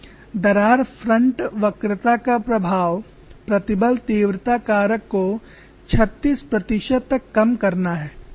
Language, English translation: Hindi, The effect of crack front curvature is to decrease the stress intensity factor by 36 percent